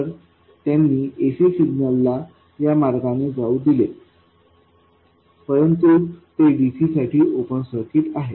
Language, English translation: Marathi, So, they let the AC signal through this way but they are open circuits for DC